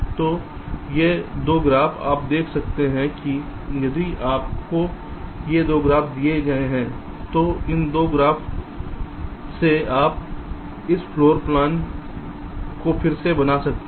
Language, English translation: Hindi, so these two graphs, you, you can check that if you are given these two graphs, from these two graphs you can reconstruct this floor plan